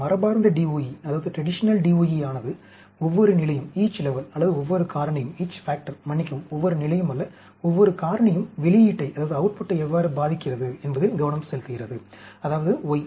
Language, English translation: Tamil, Traditional DOE’s focus on how each level, or each factors, sorry, not each level, each factor affects the output, that is y